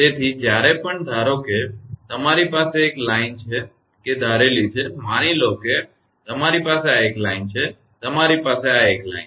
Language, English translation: Gujarati, So, whenever suppose you have a line that is assumed that, assume that you have a line, you have a line right